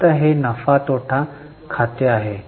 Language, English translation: Marathi, Now this is the P&L account